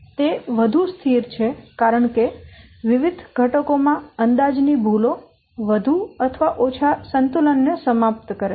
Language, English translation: Gujarati, It is more stable because the estimation errors in the various components more or less balanced out